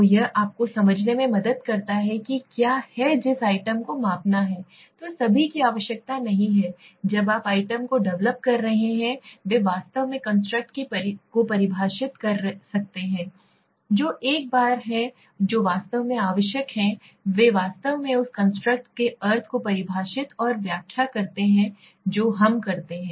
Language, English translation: Hindi, So it helps you to understand what is the item that is to be measured so all are not required, when you are developing the items all of them might not be exactly defining the construct, which are the once which are actually required and they truly define and explain the meaning of the construct that is what we do